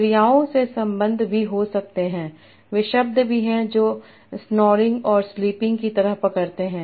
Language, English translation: Hindi, They can be entailment relation also from verb to the verbs that they entail like snoring and sleeping